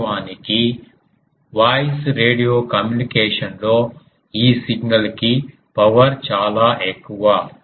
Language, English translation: Telugu, And in actually in radio communication of voice this signal power is quite higher